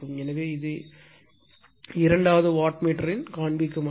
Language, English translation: Tamil, So, this is the reading of the second wattmeter right